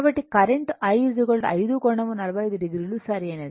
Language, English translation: Telugu, So, current I is equal to 5 angle 45 degree right